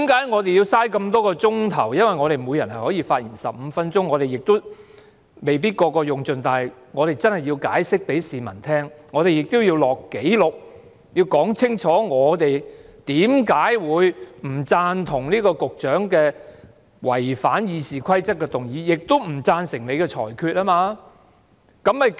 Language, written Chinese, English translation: Cantonese, 我們要花這麼多個小時討論，因為我們每人可以發言15分鐘，雖然我們每人未必會用盡這15分鐘，但我們真的要解釋給市民聽，我們亦要記錄在案，要說清楚我們為何會不贊同局長違反《議事規則》的議案，亦不贊成你的裁決。, This is precisely why so many of us have said that this approach is a waste of Council meeting time because each of us has 15 minutes to speak and we will spend many hours on this debate . Although not every one of us will use up the 15 - minute speaking time we need to explain to the public and put our justifications on record . We need to clearly explain why we oppose the Secretarys motion which violates the Rules of Procedure and why we disagree with your ruling